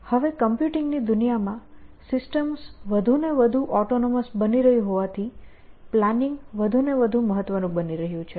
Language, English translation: Gujarati, Now of course, in the world of computing, planning is becoming more and more important as systems are becoming more and more autonomous